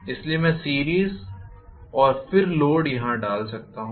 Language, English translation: Hindi, So, I can put the series and then the load here